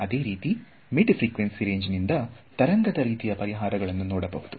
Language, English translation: Kannada, So, the mid frequency range has wave like solutions ok